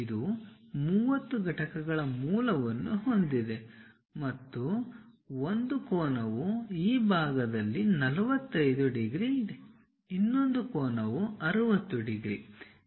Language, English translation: Kannada, It has a base of 30 units and one of the angle is 45 degrees on this side, other angle is 60 degrees